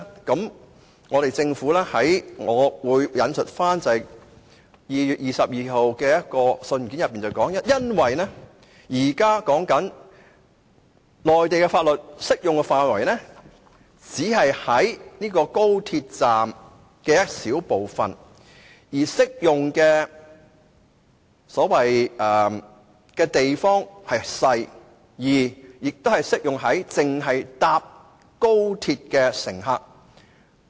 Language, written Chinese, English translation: Cantonese, 根據一封於2月22日發出的信件內容，內地法律的適用範圍只限於高鐵站一小部分地方，涉及的面積不大，而且只適用於高鐵乘客。, According to the content of a letter issued on 22 February the scope of application of the laws of the Mainland is merely confined to a small area in the station and the area in question is not large . Moreover the laws are applicable to XRL passengers only